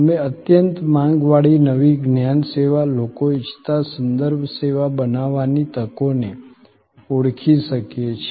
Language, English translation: Gujarati, We could identify the opportunities of creating the highly demanded new knowledge service, referential service that people wanted